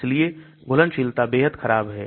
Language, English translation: Hindi, So the solubility is extremely poor